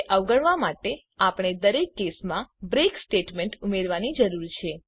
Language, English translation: Gujarati, To avoid that, we need to add a break statement in each case